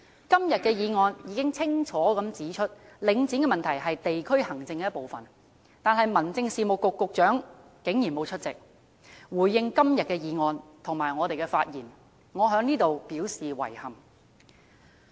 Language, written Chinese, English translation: Cantonese, 今天的議案已經清楚指出，領展問題是地區行政的一部分，但民政事務局局長竟然沒有出席回應今天的議案和我們的發言，我在此表示遺憾。, The motion today has clearly pointed out that the Link REIT issue is a part of district administration but to our disappointment the Secretary for Home Affairs does not attend the meeting and respond to the motion and our speeches today . I express regrets at this